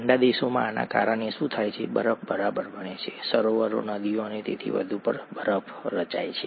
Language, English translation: Gujarati, What happens because of this in cold countries, ice forms right, ice forms on lakes, rivers and so on and so forth